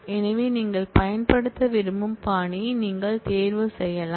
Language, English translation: Tamil, So, you can choose the style that you prefer to use